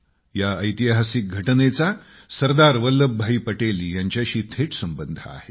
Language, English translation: Marathi, This incident too is directly related to SardarVallabhbhai Patel